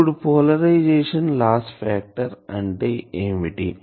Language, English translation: Telugu, So, now what is polarisation loss factor